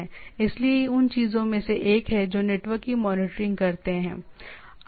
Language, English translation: Hindi, So, this is one of the thing so that is a monitoring of the network